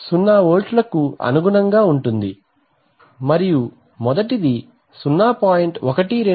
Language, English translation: Telugu, Corresponds to 0 volts and the first, the one corresponds to 0